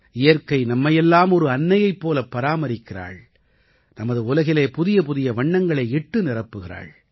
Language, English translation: Tamil, Nature nurtures us like a Mother and fills our world with vivid colors too